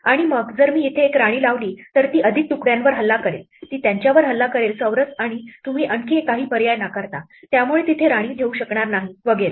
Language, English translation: Marathi, And then, it if I put a queen here in turn it will attack more pieces like, it will attack these squares and you rule out some more options so I will not be able to place queens there and so on